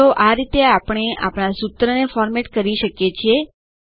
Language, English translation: Gujarati, So these are the ways we can format our formulae